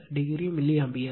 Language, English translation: Tamil, 36 degree milliAmpere